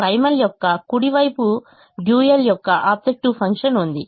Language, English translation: Telugu, the right hand side of the primal is the objective function of the dual